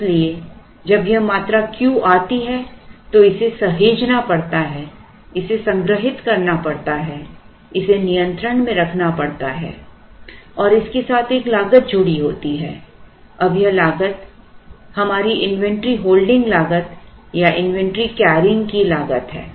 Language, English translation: Hindi, So, when this quantity Q comes it has to be saved it has to be stored it has to be held in control and there is a cost associated with that, now that cost is our inventory holding cost or inventory carrying cost